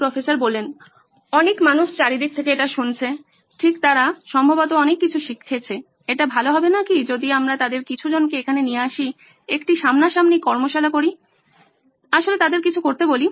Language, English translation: Bengali, A number of people have been listening to this from all over, right they have probably learnt a lot, would not it be nice if we actually brought some of them here, did a workshop face to face and actually had them do something